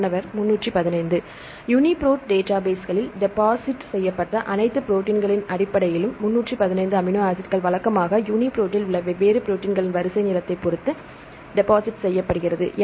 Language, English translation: Tamil, 315 amino acids based on the all the proteins deposited in the UniProt database, usually, if you look into the sequence length in different proteins in UniProt